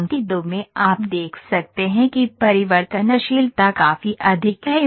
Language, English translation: Hindi, Now this is line 2 you can see the variability is quite high